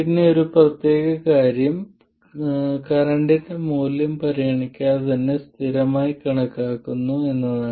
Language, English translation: Malayalam, But the important thing is that it is assumed to be a constant regardless of the value of current